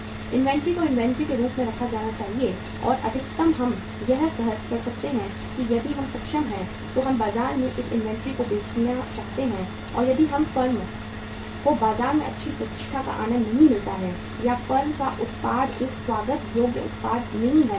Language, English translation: Hindi, Inventory has to be kept as inventory and maximum we can do is that if we are able we want to sell this inventory in the market and if the firm does not enjoy the good reputation in the market or the firm’s product is not a welcome product in the market